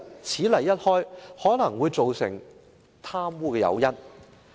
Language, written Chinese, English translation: Cantonese, 此例一開，可能會造成以後貪污的誘因。, Setting this precedent may provide an incentive for corruption in the future